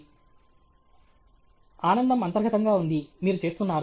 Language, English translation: Telugu, Student: The joy is intrinsic, you are doing